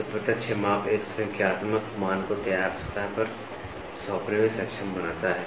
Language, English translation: Hindi, So, the direct measurement enables a numerical value to be assigned to the finished surface